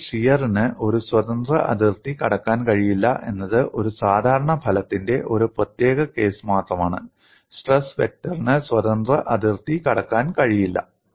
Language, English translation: Malayalam, So, shear cannot cross a free boundary is only a particular case of a generic result; that is, stress vector cannot cross the free boundary